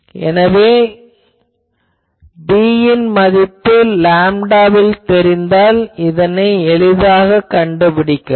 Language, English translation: Tamil, So, if you know b in terms of lambda, you can easily find out this